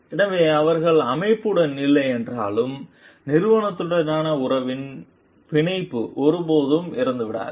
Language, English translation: Tamil, So, that even if they are not there with the organization the bond the relationship with the organization never dies out